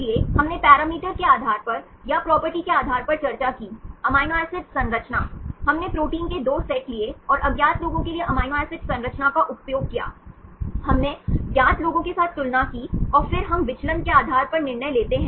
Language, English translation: Hindi, So, we discussed based on the parameter or based on the property, amino acid composition, we used amino acid composition for the 2 sets of proteins and for unknown ones, we compared with the known ones, and then we decide depending upon the deviation